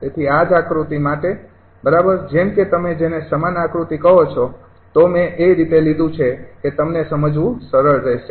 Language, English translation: Gujarati, so for this, for the same diagram, right, such that your what you call same diagram i have taken, such that it will be easy for you to understand